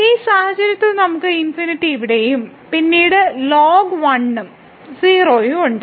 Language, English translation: Malayalam, So, in this case we have the infinity here and then ln 1 so 0